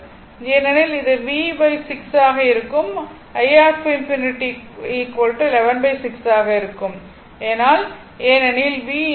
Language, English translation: Tamil, So, it will be v your v by 6, that is 180 upon 11 into 6 because v infinity is equal to 180 upon 11